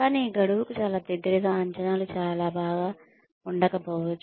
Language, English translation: Telugu, But, very close to a deadline, appraisals may be very bad